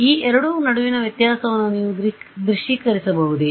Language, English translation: Kannada, Can you visual it any difference between these two